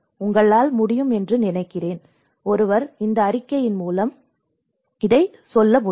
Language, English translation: Tamil, I think you can, one can go through this report